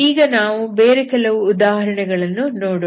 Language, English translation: Kannada, Let us look at some other examples